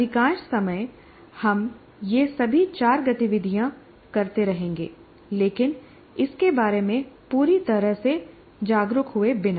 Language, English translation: Hindi, All these four activities, most of the times we will be doing that but without being fully aware of it